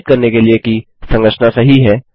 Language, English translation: Hindi, To verify that the construction is correct